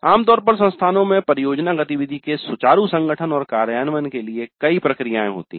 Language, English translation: Hindi, And usually the institutes have several processes for smooth organization and implementation of project activity